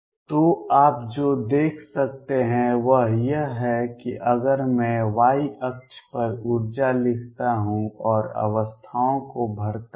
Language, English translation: Hindi, So, what you can see is that if I write the energy on the y axis and fill the states